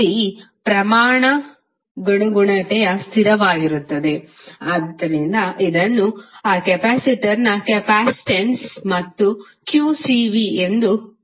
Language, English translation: Kannada, C is the constant of proportionality which is known as capacitance of that capacitor